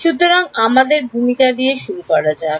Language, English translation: Bengali, So, let us start with introduction